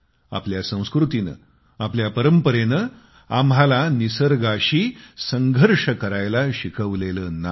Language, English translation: Marathi, Our culture, our traditions have never taught us to be at loggerheads with nature